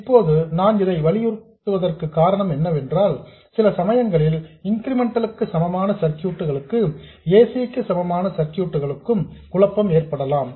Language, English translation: Tamil, Now, the reason I am emphasizing this is that sometimes there is a confusion between incremental equivalent circuits and AC equivalent circuits